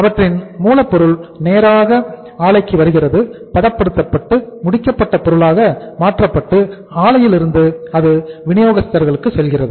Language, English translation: Tamil, Straightaway their raw material is coming to plant, being process, converted into finished product and from the plant itself it is going to the market to the distributors